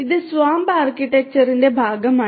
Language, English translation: Malayalam, And this is part of the SWAMP architecture